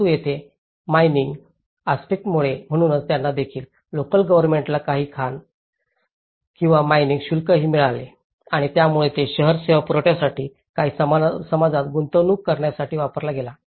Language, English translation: Marathi, But here, because of the mining aspect, so they also the local government also received some mining fees and which again it has been in turn used to provide the city services and make investments in the community